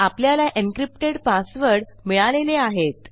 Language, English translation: Marathi, Now I want to encrypt these passwords